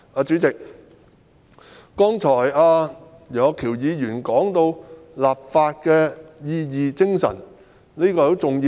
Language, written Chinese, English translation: Cantonese, 主席，楊岳橋議員剛才提到立法原意和精神，這也是相當重要的。, President legislative intent and spirit which Mr Alvin YEUNG just mentioned are also very important